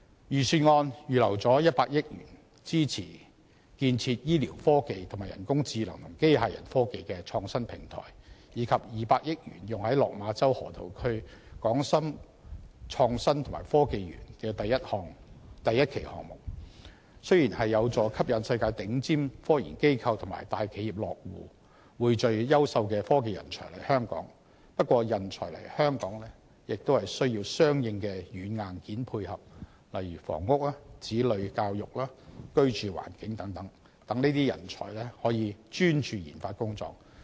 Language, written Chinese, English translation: Cantonese, 預算案預留了100億元支持建設醫療科技和人工智能及機械人科技的創新平台，以及200億元用於落馬洲河套區港深創新及科技園第一期項目，雖然有助吸引世界頂尖科研機構與大企業落戶，匯聚優秀的科技人才來港，但人才來港也要有相應的軟硬件配合，例如房屋、子女教育、居住環境等，讓這些人才專注研發工作。, While the 10 billion earmarked in the Budget for supporting the establishment of research clusters on health care technologies and on artificial intelligence and robotics technologies and the 20 billion used on the first phase of the Hong Kong - Shenzhen Innovation and Technology Park in the Lok Ma Chau Loop will help attract the worlds top scientific research institutions and large enterprises and pull technology talents to Hong Kong corresponding software and hardware are required to support such talents who have come to Hong Kong such as housing education for their children and the living environment so that they may focus on their RD work